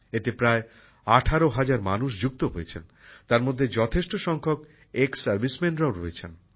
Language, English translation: Bengali, About 18,000 people are associated with it, in which a large number of our ExServicemen are also there